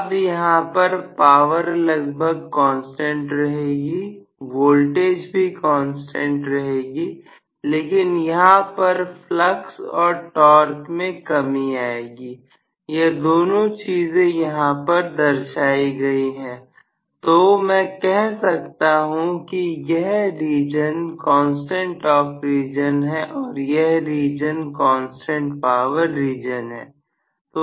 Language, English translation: Hindi, Now, the power will almost remain as a constant here the voltage will also remain as a constant but this will be the reduction in flux and torque both are specified with the help of this, so, I would say this region is constant torque region and this region is constant power region